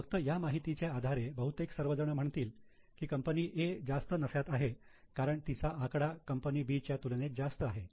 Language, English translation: Marathi, Only on the basis of this, perhaps most will say that A looks profitable because their profit is much more than that of B